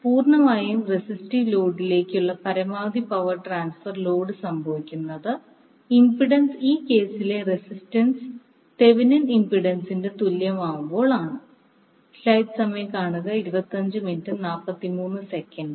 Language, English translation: Malayalam, Tthat means that the maximum power transfer to a purely resistive load the load impedance that is the resistance in this case will be equal to magnitude of the Thevenin impedance